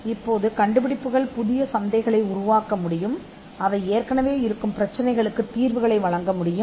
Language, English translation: Tamil, Now, inventions can create new markets, inventions can offer solutions to existing problems